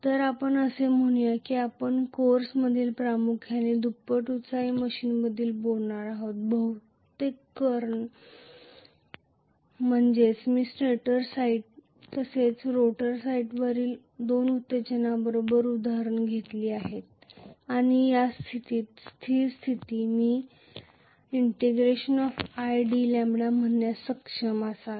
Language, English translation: Marathi, So, we do have let us say we are going to talk mainly about doubly excited machine in this course mostly that is the reason why I took an example with two excitations from stator site as well as rotor site and under a static condition I should be able to say id lambda that is what we call as the field energy